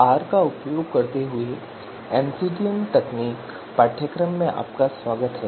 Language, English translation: Hindi, Welcome to the course MCDM Techniques using R